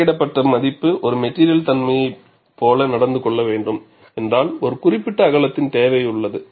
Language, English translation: Tamil, If the value calculated has to behave like a material property, there is a need for a particular width